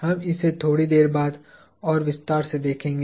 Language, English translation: Hindi, We will look at this in more detail a little later